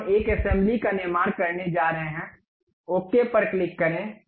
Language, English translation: Hindi, Now, we are going to construct an assembly, click ok